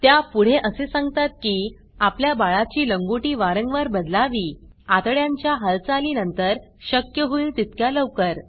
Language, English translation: Marathi, She further says that you should change your babys cloth diaper frequently, and as soon as possible after bowel movements